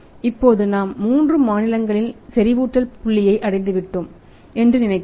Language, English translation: Tamil, Now we have thought that we have reached that is saturation point in 3 states